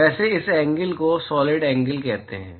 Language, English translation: Hindi, By the way, this angle is what is called as the solid angle